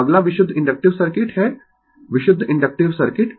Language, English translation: Hindi, So, next is the purely inductive circuit, purely inductive circuit